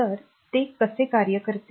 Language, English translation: Marathi, So, how does it operate